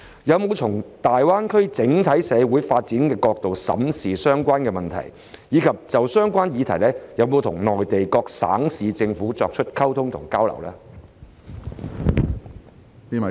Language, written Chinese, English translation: Cantonese, 有否從大灣區整體社會發展的角度審視相關問題，以及有否就相關議題，跟內地各省市政府進行溝通和交流呢？, Have they reviewed the related issues from the perspective of the overall social development of the Greater Bay Area? . And have they communicated and exchanged views with Mainland provincial and municipal governments on the related subjects?